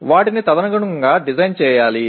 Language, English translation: Telugu, They have to be designed accordingly